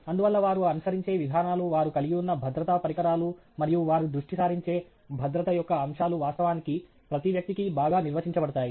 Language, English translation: Telugu, Therefore, the procedures that they follow, the safety equipment that they have, and the aspects of safety that they focus on are actually well defined for each individual